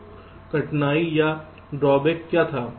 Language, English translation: Hindi, so what was the difficulty or the drawback